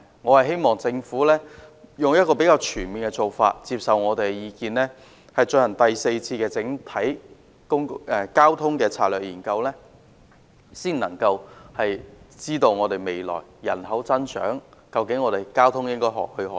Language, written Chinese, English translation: Cantonese, 我希望政府採取較全面的做法，接受我們的意見，進行第四次整體交通策略研究，以了解面對未來的人口增長，香港在交通方面應何去何從。, I hope the Government will adopt a more comprehensive approach and take our advice about conducting a fourth comprehensive transport strategy study to map out the way forward for transport in Hong Kong in the face of future population growth